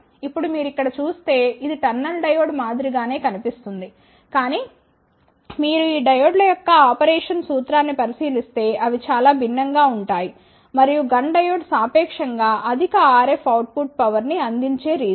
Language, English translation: Telugu, Now, if you see here this looks similar to the tunnel diode , but the if you look into the operation principle of these diodes they are quite different and that is the region that GUNN diode provides relatively high out of rf output power